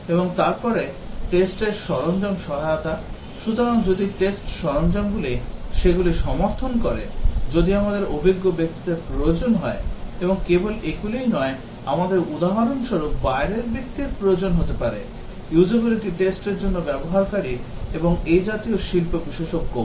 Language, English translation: Bengali, And then test tool support, so if test tools are used supporting those we need experienced people; and not only these we might need external persons for example, users for performing usability tests and so on and also the industry experts